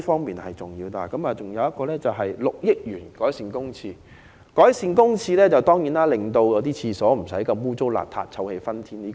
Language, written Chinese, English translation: Cantonese, 此外，政府計劃撥款6億元改善公廁衞生，令公廁不再骯髒不堪和臭氣熏天。, Besides the Government has planned to allocate 600 million to enhance the hygiene of public toilets keeping them clean and fresh